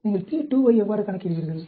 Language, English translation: Tamil, How do you calculate p2